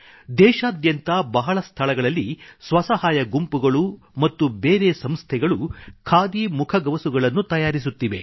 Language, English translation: Kannada, Self help groups and other such institutions are making khadi masks in many places of the country